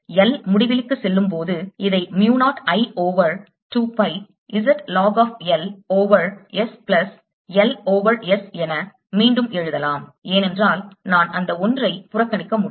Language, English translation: Tamil, this can be written as mu zero i over two pi z log of l over s plus l over s again, because i can ignore that one